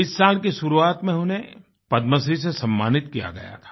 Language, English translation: Hindi, In the beginning of this year, she was honoured with a Padma Shri